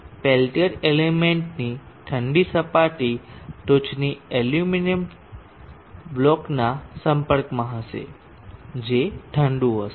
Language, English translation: Gujarati, The cold surface of the pen tier element will be in contact with the tip aluminum block which will be cooled